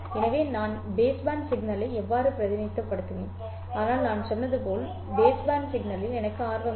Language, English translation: Tamil, So, this is how I would represent the baseband signal, but as I said, I am not interested in the base band signal